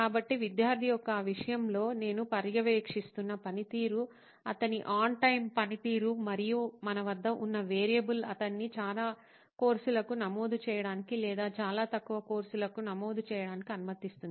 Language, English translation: Telugu, So the performance that I am monitoring in this case of the student is his on time performance and the variable that we have will let him enrol for many courses or enrol for very few courses